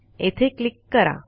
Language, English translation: Marathi, Click on that